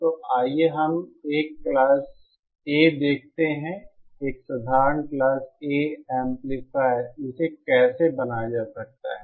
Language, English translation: Hindi, So let us see a Class A, a simple Class A amplifier, how it can be built